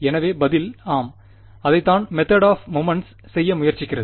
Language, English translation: Tamil, So, the answer is yes and that is what the method of moments tries to do